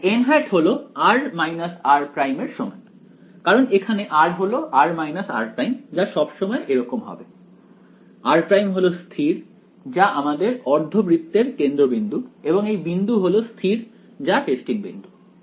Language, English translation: Bengali, So, here n hat is equal to r hat r minus r prime because r is here r minus r prime is always going to be like this r prime is fixed to be the centre of this semi circle that is the point that is fixed the testing point